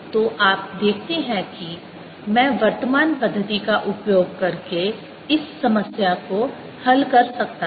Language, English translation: Hindi, so you see, i could have solved this problem using the current method